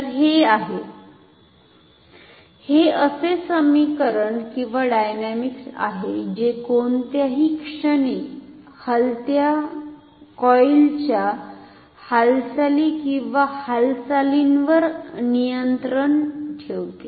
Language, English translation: Marathi, So, this is the; this is the expression or the dynamics that governs the motion or movement of the moving coil at any instant, at any moment